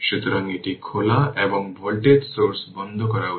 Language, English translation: Bengali, So, it is open and voltage source is should be turned off